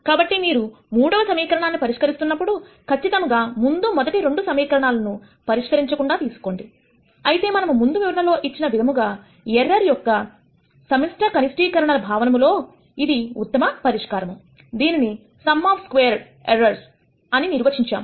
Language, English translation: Telugu, So, you can see that while the third equation is being solved exactly the first take both the first 2 equations are not solve for; however, as we described before this is the best solution in a collective minimization of error sense, which is what we de ned as minimizing sum of squared of errors